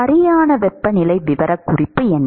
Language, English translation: Tamil, What is the proper temperature profile